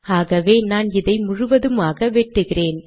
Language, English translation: Tamil, So what I will do is, I will cut the whole thing